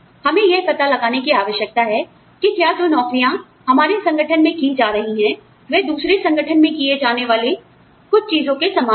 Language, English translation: Hindi, We need to find out, whether the kind of jobs, that are being carried out, in our organization, are similar to something, that is being done, in another organization